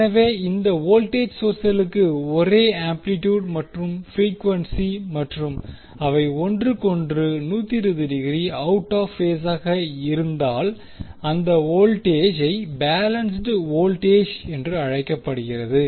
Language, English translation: Tamil, So, if the voltage source have the same amplitude and frequency and are out of phase with each other by 20, 20 degree, the voltage are said to be balanced